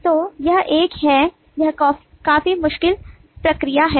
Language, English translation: Hindi, so it is a it is quite a difficult process to go with